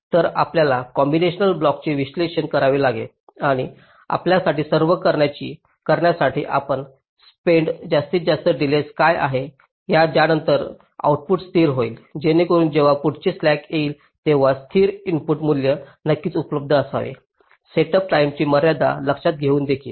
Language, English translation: Marathi, so you have to analyze the combinational block and find out what is the maximum delay you have to spend after which the output gets stabilized so that when the next clock is comes, the stable input value should be available here, of course taking into account the set up time constraint as well